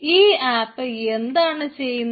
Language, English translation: Malayalam, so so what this app will do